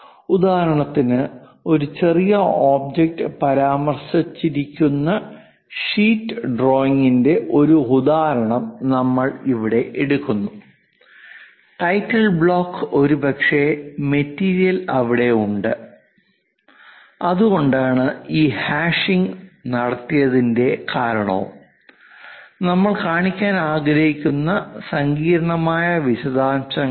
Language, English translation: Malayalam, For example, here we are taking a drawing an example drawing sheet where an object is mentioned, the title block perhaps material is present there that is the reason this hashing is done and the intricate details we would like to show